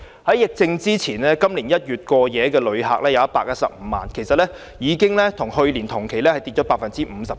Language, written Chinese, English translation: Cantonese, 在疫症爆發前，今年1月有115萬過夜遊客，跟去年同期相比，已下跌 57%。, Before the epidemic outbreak there were 1.15 million overnight tourists in January this year which represents a decrease of 57 % as compared with the same period last year